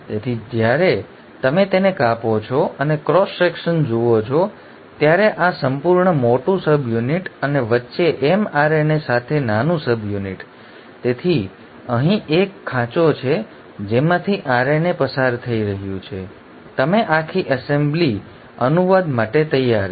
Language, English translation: Gujarati, So when you cut it across and see a cross section, when this entire large subunit and the small subunit along with mRNA in between; so there is a groove here in, through which the RNA is passing through, you, the whole assembly is ready for translation